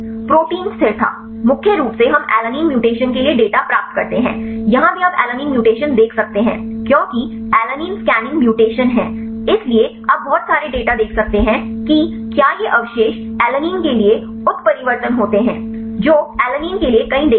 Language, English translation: Hindi, Protein stability mainly we obtain the data for alanine mutations here also you can see the alanine mutation because the alanine scanning mutation is, so you can see the plenty of data whether these residues are mutated to alanine which way there are many data for alanine